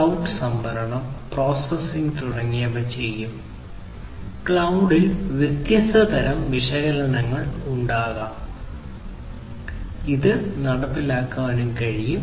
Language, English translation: Malayalam, And then so, the cloud will do storage, processing etc and at the cloud at the cloud there could be different types of analytics; that could be executed